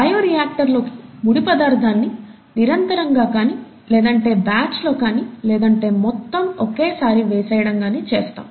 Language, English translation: Telugu, Raw material goes into the bioreactor, either in a continuous fashion or in a batch fashion, you know, you dump everything at one time